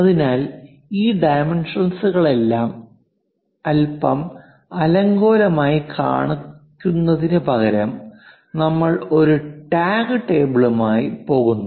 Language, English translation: Malayalam, So, instead of showing all these dimensions which becomes bit clumsy, usually we go with a tag table